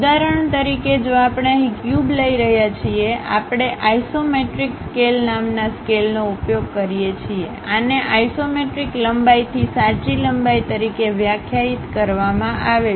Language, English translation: Gujarati, For example, if we are taking a cube here; we use a scale named isometric scale, this is defined as isometric length to true length